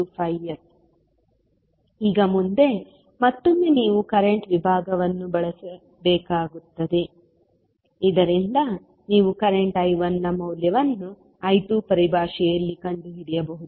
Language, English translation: Kannada, Now, next again you have to use the current division, so that you can find the value of current I 1 in terms of I 2